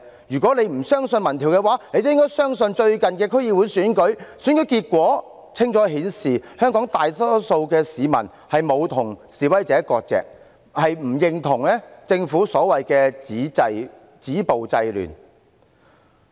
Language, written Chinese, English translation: Cantonese, 如果她不相信民調，也應該相信最近的區議會選舉。選舉結果清楚顯示，香港大多數市民沒有與示威者割席，亦不認同政府所謂的"止暴制亂"。, If she is not convinced by public opinion polls she should be convinced by the outcome of the latest District Council Election which clearly showed that most Hongkongers did not sever ties with the protesters nor did they agree with the so - called stopping violence and curbing disorder avowed by the Government